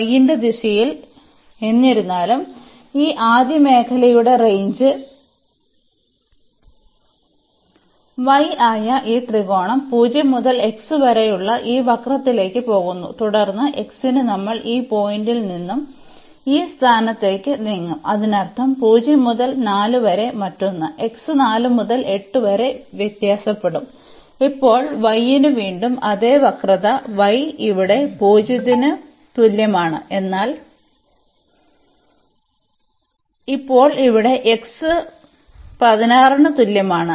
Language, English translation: Malayalam, So, in the direction of y; however, ranges for this first region which is this triangle y goes from 0 to this curve which is x and then for x we will move from this point to this point; that means, 0 to 4 the another one then 4 to 8 our x will vary from 4 to 8 and now for the y its again the same curve y is equal to 0 here, but now there it is x y is equal to 16